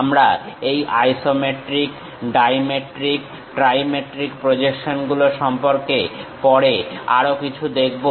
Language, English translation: Bengali, We will see more about these isometric, dimetric, trimetric projections later